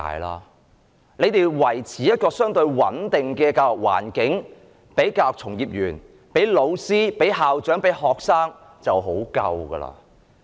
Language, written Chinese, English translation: Cantonese, 政府如能維持一個相對穩定的教育環境予教育從業員、老師、校長及學生，已經很足夠。, It would be sufficient if the government could maintain a relatively stable education environment for education practitioners teachers principals and students